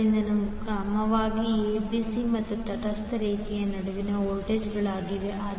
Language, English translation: Kannada, So, these are respectively the voltages between line ABC and the neutral